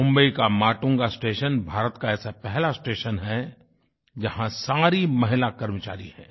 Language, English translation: Hindi, Matunga station in Mumbai is the first station in India which is run by an all woman staff